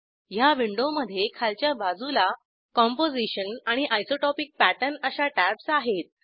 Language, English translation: Marathi, This Window has two tabs at the bottom Composition and Isotopic Pattern